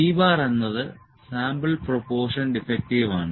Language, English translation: Malayalam, So, this is proportion defective